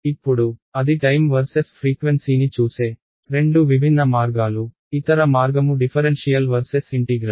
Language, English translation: Telugu, Now so that is two different ways of looking at time versus frequency; the other aspect is differential versus integral